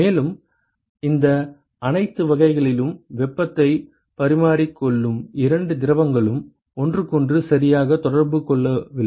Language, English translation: Tamil, And in all these types the two fluids, which is exchanging heat they are not in contact with each other anyway right